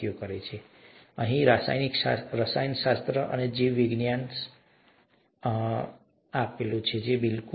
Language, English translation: Gujarati, And then chemistry here, and biology hmmm, right